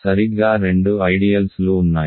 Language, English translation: Telugu, There are exactly two ideals right